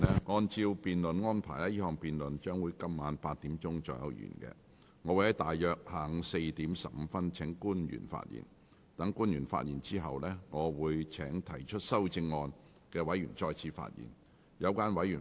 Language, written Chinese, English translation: Cantonese, 我會約於下午4時15分請官員發言。待官員發言後，我會請提出修正案的委員再次發言。, I will invite public officers to speak at around 4col15 pm to be followed by Members who have proposed the amendments to speak again